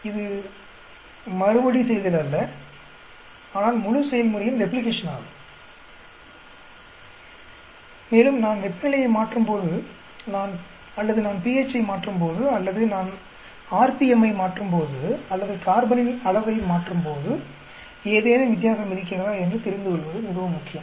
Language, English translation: Tamil, It is not repeat but replication of the entire process, and that is very very important to know, in order to see whether there is any difference when I change temperatures or when I change pH or when I change rpm or when I change amount of carbon or when I change nitrogen and so on actually